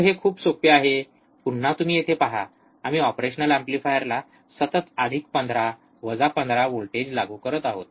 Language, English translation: Marathi, So, it is very easy again you see here we are constantly applying plus 15 minus 15 to the operational amplifier